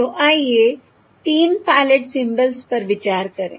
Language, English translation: Hindi, Okay, So let us consider the three pilot symbols